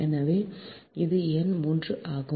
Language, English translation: Tamil, right so this is number three